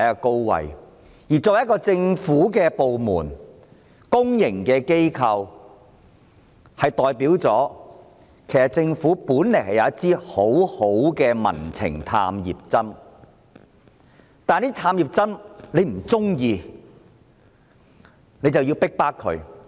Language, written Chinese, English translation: Cantonese, 港台是一個政府部門，又是公營機構，這其實代表政府擁有一支很好的"民情探熱針"，但政府卻因為不喜歡這支探熱針而逼迫它。, RTHK is a government department and also a public service institution . It actually is an excellent thermometer of public opinions . But the Government persecutes RTHK because it dislikes this thermometer